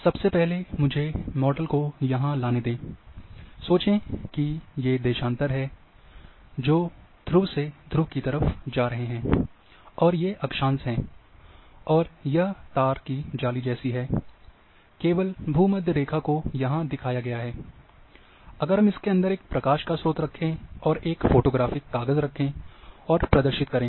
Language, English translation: Hindi, Let me first bring the model here, Think that there are longitudes which are going from pole to pole, and there are latitudes and this is wired mess, only equator is shown here, so if we keep a source of light inside this one, and put a photographic paper, and expose